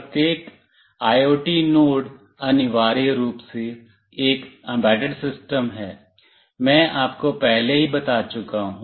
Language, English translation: Hindi, Each IoT node is essentially an embedded system, I have already told you